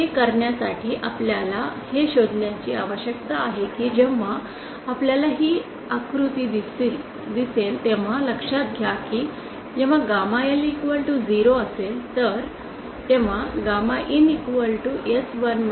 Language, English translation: Marathi, To da that we need to find out if we will see this figure note that when gamma L is equal to zero gamma in becomes s11